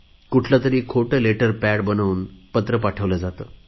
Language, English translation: Marathi, They use fake letter pads while sending these letters